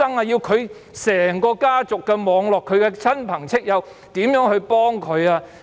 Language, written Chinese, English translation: Cantonese, 要整個家族的網絡、親朋戚友如何幫助他們？, Should they seek help from all of their family members relatives and friends first?